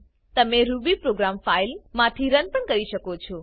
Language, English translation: Gujarati, You can also run Ruby program from a file